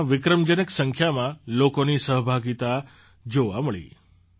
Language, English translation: Gujarati, The participation of a record number of people was observed